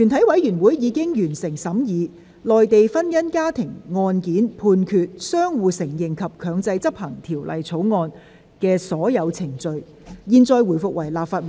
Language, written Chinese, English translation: Cantonese, 全體委員會已完成審議《內地婚姻家庭案件判決條例草案》的所有程序。現在回復為立法會。, All the proceedings on the Mainland Judgments in Matrimonial and Family Cases Bill have been concluded in committee of the whole Council